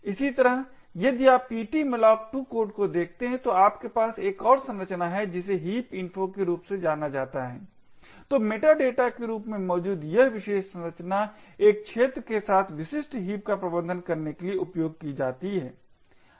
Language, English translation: Hindi, Similarly, if you look at the ptmalloc2 code you also have another structure known as heap info, so this particular structure present as the meta data would be used to manage specific heaps with an arena